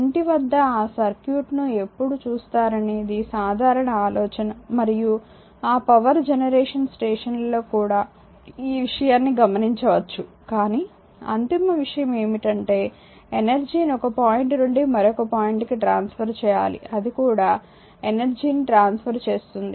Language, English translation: Telugu, This is this is common idea you have when is look at that circuit at house hold and you might have seen somewhere in that power generic station right But ultimate thing is that you often interested in transferring energy from one point to another that is also your transferring energy